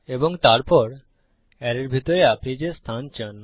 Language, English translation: Bengali, And then the position of what you want inside the array